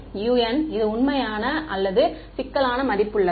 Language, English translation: Tamil, Will this u n’s be real or complex valued